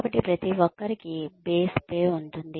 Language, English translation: Telugu, So, everybody, has a base pay